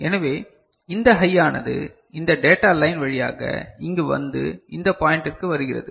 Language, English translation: Tamil, So, this high comes over here through this data line and comes to this point